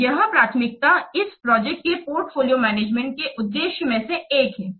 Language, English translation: Hindi, So that was one of the objective of project portfolio definition